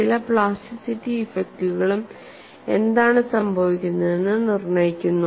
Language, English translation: Malayalam, Certain amount of plasticity effects also dictate what happens, and how this is handle